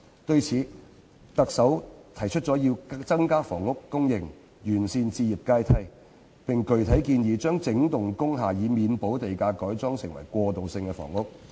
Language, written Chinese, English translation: Cantonese, 對此，特首提出要增加房屋供應、完善置業階梯，並具體建議"研究讓整幢工廈免補地價改裝為過渡性房屋"。, In this connection the Chief Executive has proposed to increase housing supply and perfect the home ownership ladder and the specific proposal includes exploring the wholesale conversion of industrial buildings into transitional housing with waiver of land premium